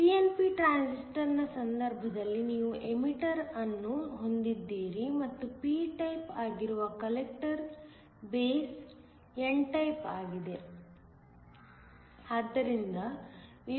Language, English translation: Kannada, In the case of a pnp transistor, you have the emitter and the collector to be p type the base is n type